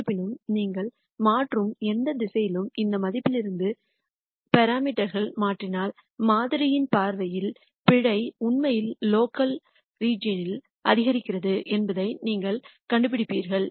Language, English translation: Tamil, However, from the model viewpoint if you were to change the parameters from this value in any direction you change, you will be finding out that the error actually increases in the local region